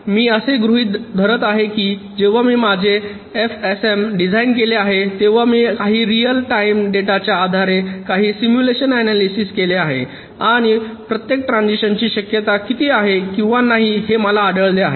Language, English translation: Marathi, i am assuming that when i have designed my f s m, i have already done some simulation analysis based on some real life kind of data and found out how many or what is the chance of each of the transitions means it turns are occurring